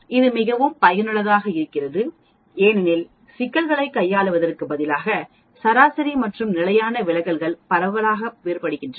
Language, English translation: Tamil, This is very, very useful because instead of handling problems where the averages and standard deviations are differing wide apart